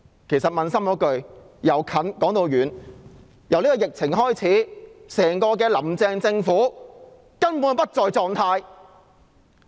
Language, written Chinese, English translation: Cantonese, 其實平心而論，由近而遠，自疫情開始，整個"林鄭"政府根本不在狀態。, In fact to be fair in retrospect the entire Government under Carrie LAM has actually been out of condition since the outbreak of the disease